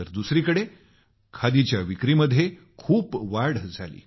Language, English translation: Marathi, On the other hand, it led to a major rise in the sale of khadi